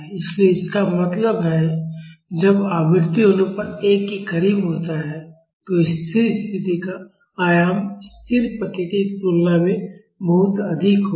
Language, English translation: Hindi, So; that means, when the frequency ratio is close to 1, the steady state amplitude will be much higher than the static response